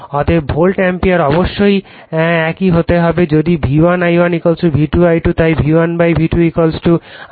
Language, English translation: Bengali, Therefore, the volt ampere must be same, if V1 I1 = V2 I2 therefore, V1 / V2 = I2 / I1